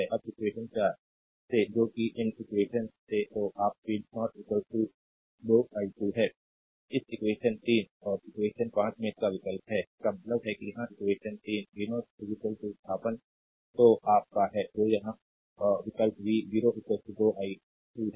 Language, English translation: Hindi, Now from equation 4; that is, from this equation that is your v 0 is equal to 2 i 2 from this equation, right that you substitute this in equation equation 3 and equation 5; that means, here in the equation 3 v 0 is equal to substitute your what you call you substitute here v 0 is equal to 2 i 2